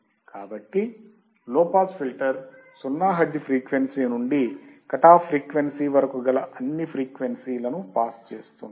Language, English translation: Telugu, So, a low pass filter is a filter that passes frequency from 0 hertz to the critical frequency